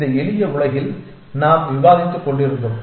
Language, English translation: Tamil, And that kind of stuff we were discussing in this simple world